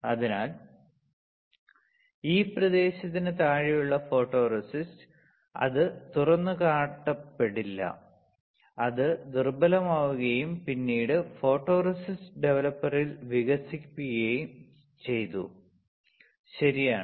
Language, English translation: Malayalam, So, photoresist which is below this area, it will not be exposed and it got weaker and then it got developed in the photoresist developer, correct